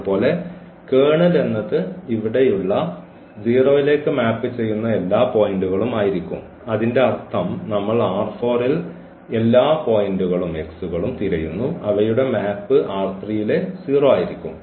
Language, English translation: Malayalam, Similarly, the kernel because the kernel will be all the points here whose who map is to 0s; that means, we are looking for all the points x here in R 4 and whose map to the 0 in R 3